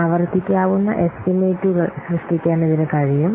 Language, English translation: Malayalam, It is able to generate repeatable estimations